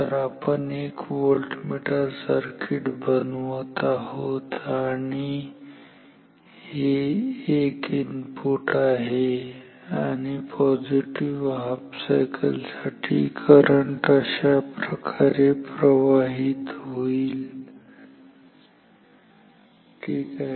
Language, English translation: Marathi, So, we are making a voltmeter circuit and this is the input in for i n input and what we will like to have is that for say positive cycle if current flows like this ok